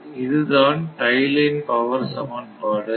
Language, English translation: Tamil, So, this is the tie line power equation